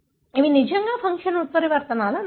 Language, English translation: Telugu, These are really loss of function mutations